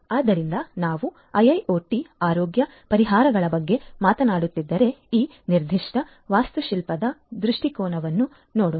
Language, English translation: Kannada, So, if we are talking about IIoT healthcare solutions, let us look at this particular architectural view point